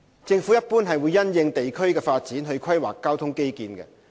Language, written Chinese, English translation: Cantonese, 政府一般會因應地區的發展去規劃交通基建。, The Government will generally plan transport infrastructure in the light of district development